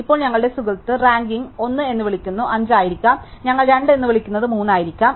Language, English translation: Malayalam, Now, our friends ranking would rank what we called 1 as may be 5, what we call 2 is may be 3 and so on